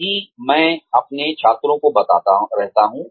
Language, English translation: Hindi, That is what, I keep telling my students